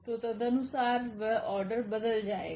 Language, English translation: Hindi, So, accordingly that order will change